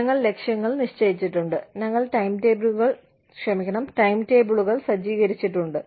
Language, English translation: Malayalam, You know, we have set goals, and we have set timetables